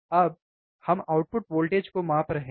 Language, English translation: Hindi, Now, we are measuring the output voltage